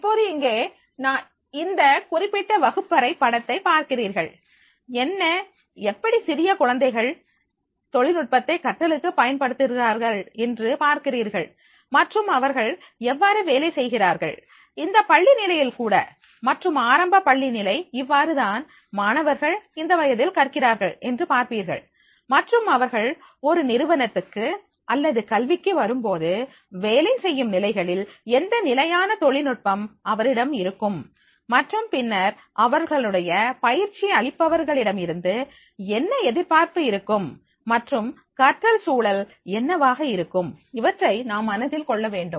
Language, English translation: Tamil, Now here, now you see this particular picture of the classroom and then you find that is the how young kids they are making the use of the technology in learning and how they work at the at this school level also and the primary school level you will find that is the how that these students are learning at this age and when they will come to the corporate or in the academia in the working positions then what level of technology will they have and then what will be their expectation from the trainer and then what will be the learning environment that we have to keep in mind